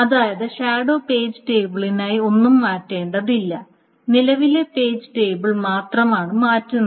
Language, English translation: Malayalam, So that means nothing needs to be changed for the shadow page table and only the current page table is what is being changed